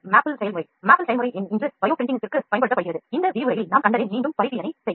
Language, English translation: Tamil, So, this is a maple process, maple process is also used to for bio printing today, to recapitulate whatever we have seen in this lecture